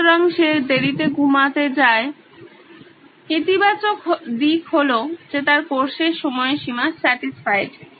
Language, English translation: Bengali, So, he goes to sleep late, the positive is that his course deadlines are satisfied